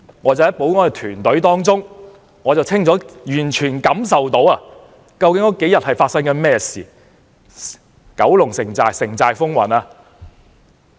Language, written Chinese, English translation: Cantonese, 我在保安團隊中清楚感受到這幾天發生的事情是怎樣的。, Being in the security team I clearly got a direct experience of what happened during these few days